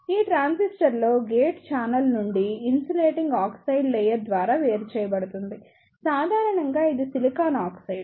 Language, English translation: Telugu, In this transistor, the gate is separated from the channel by an insulating oxide layer, generally it is off silicon oxide